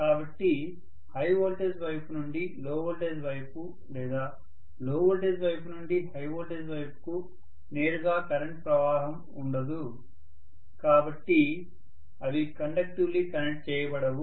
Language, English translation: Telugu, So there will not be any direct current flow from the high voltage side to the low voltage side or low voltage side to the high voltage side, so they are not conductively connected